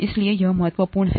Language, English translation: Hindi, So it’s that important